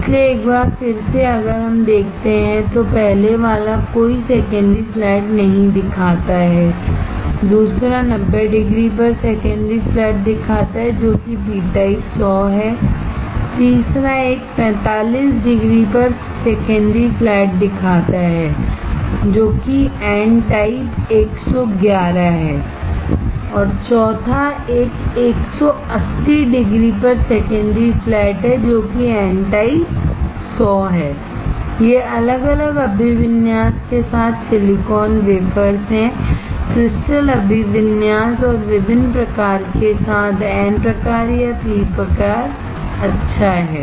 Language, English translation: Hindi, So, once again quickly if we see, the first one shows no secondary flat, second one shows secondary flat at 90 degree which is p type 100, third one shows secondary flat at 45 degree which is n type 111, 4th one shows secondary flat at 180 degree which is n type 100, these are the silicon wafers with different orientation; crystal orientation and with different type, n type or p type good